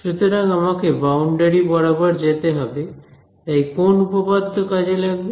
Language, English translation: Bengali, So, I want to go along the boundary so, which theorem